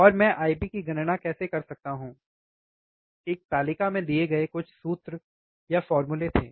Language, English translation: Hindi, And how can calculate the I B, there were some formulas given in a table